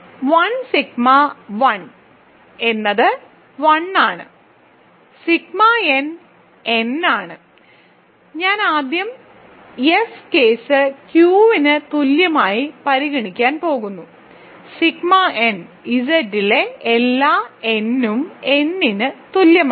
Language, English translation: Malayalam, So, 1 sigma 1 is 1, so sigma n is n, so I am going to first consider the case F equal to Q, sigma n is equal to n for all n in Z